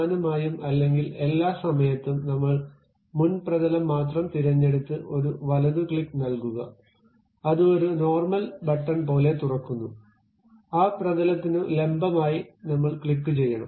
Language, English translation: Malayalam, Mainly or all the time we pick only front plane, then give a right click, it open something like a normal button, normal to that plane we have to click